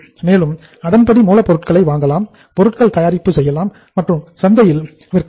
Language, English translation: Tamil, And accordingly acquire the raw material, manufacture the product and sell that in the market